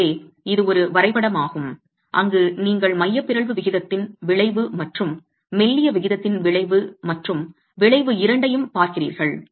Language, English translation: Tamil, So this is one graph where you are looking at both the effect of the eccentricity ratio and the effect of the slendinous ratio